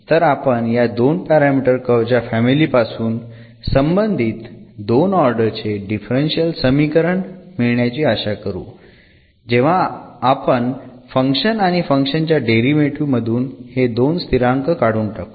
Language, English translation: Marathi, So, out of this two parameter family of curves, we are expecting that it will be a corresponding differential equation will be a second order differential equation, when we try to eliminate these two constants from the equations after taking the derivative of this relation